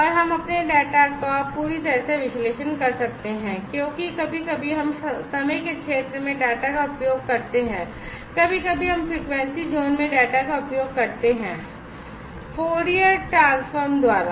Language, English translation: Hindi, And we can analyse our data perfectly, because sometimes we use the data in the time zone or sometime we use the data in frequency zone, so just by Fourier transform